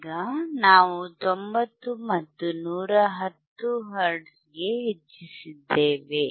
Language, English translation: Kannada, So now, we increase it from, 50 to 70 hertz